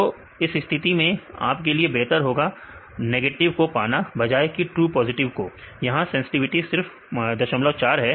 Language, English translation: Hindi, So, in this case you can better to get the true negatives then the true positives; here sensitivity is only 0